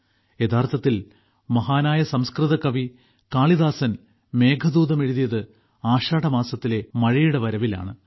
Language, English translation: Malayalam, Actually, the great Sanskrit poet Kalidas wrote the Meghdootam on the arrival of rain from the month of Ashadh